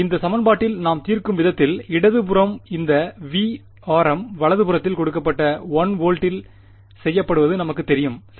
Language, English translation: Tamil, And in this equation the way we solved, it is that the left hand side this V of r m we know it to be fixed at 1 volt that was given right